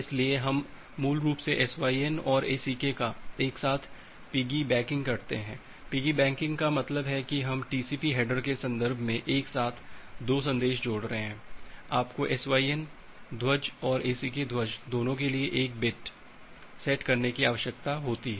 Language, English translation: Hindi, So, we are basically piggy backing SYN and ACK together piggy backing means we are combining 2 message together in terms of TCP header, you need to set bit 1 for both the SYN flag and for the ACK flag